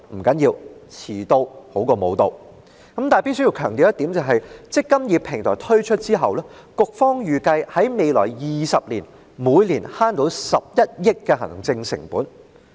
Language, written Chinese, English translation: Cantonese, 局方預計在"積金易"平台推出後的未來20年，每年可節省11億元行政成本。, The Bureau anticipates that after the implementation of the eMPF Platform an administration cost of 1.1 billion can be saved in each of the next 20 years